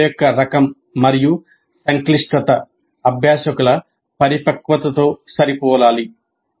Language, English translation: Telugu, Type and complexity of the problem needs to be matched with the maturity of the learners